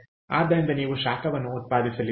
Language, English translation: Kannada, so therefore you are going to generate heat, clear